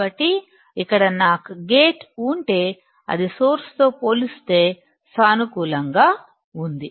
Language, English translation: Telugu, So, here if I have gate which is positive compared to source